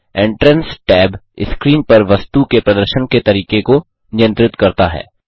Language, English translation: Hindi, The Entrance tab controls the way the item appears on screen